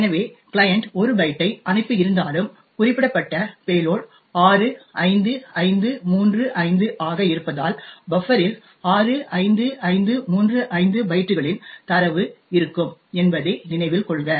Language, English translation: Tamil, So, note that even though the client has sent 1 byte, since the payload specified was 65535 therefore the buffer would actually contain data of 65535 bytes